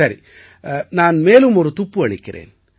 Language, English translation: Tamil, Let me give you another clue